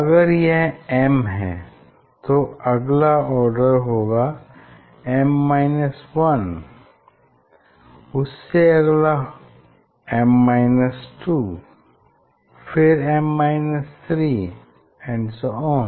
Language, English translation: Hindi, if this order is m, so next one will be m minus 1, next m minus 2, m minus 3